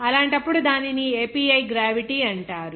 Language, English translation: Telugu, In that case, it is called that API gravity